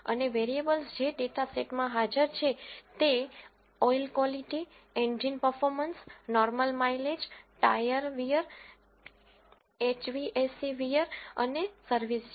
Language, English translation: Gujarati, And variables that are present in the data sets are oil quality, engine performance, normal mileage, tyre wear, HVAC wear and service